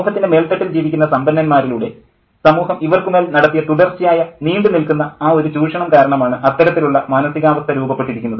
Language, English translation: Malayalam, That psyche has been constructed by this continuous prolonged exploitation that the society has done through these people who are occupying the upper strata of society